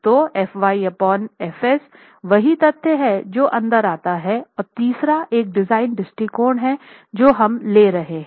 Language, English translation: Hindi, So, FY by FS is that element that comes in and the third one is the design approach that we are taking